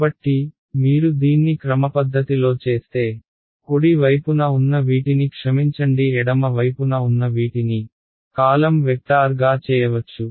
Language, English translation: Telugu, So, if you do it systematically all of these guys on the right hand side sorry on the left hand side can be made into a column vector right